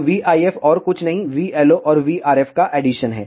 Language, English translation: Hindi, So, v IF is nothing but addition of v LO and V RF